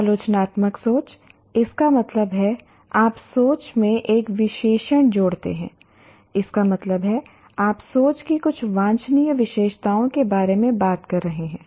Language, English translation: Hindi, Critical thinking, that means you add an adjective to thinking, that means you are talking about some desirable features of thinking